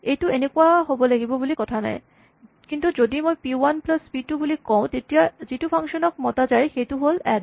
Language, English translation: Assamese, I mean it does not mean it has to be this way, but if I say p 1 p 2 the function that is invoked is add